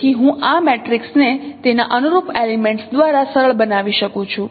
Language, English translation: Gujarati, So I can simplify this matrix by its corresponding elements